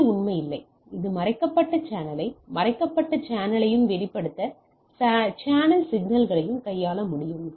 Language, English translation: Tamil, So, it is really does not; it able to handle this hidden channel, both hidden channel, and exposed channel issues